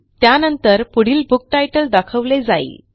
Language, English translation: Marathi, Then we will see the next book title, and so on